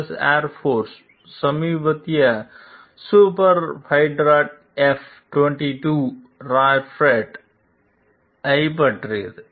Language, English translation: Tamil, S Air Forces latest superfighter, the F 22 Raptor